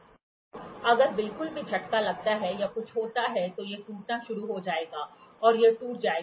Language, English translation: Hindi, So, if at all there is a shock or something happens then it will start cracking and it will break